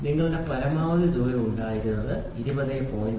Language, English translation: Malayalam, So, here you had maximum amount this is 20